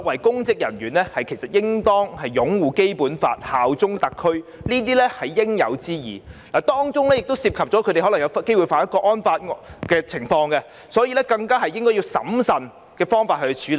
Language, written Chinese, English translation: Cantonese, 公職人員擁護《基本法》及效忠特區是應有之義，當中亦可能涉及觸犯《香港國安法》的情況，所以更應審慎處理。, It is public officers bounden duty to uphold the Basic Law and bear allegiance to SAR . As their act may also involve an offence under the National Security Law it should be handled with caution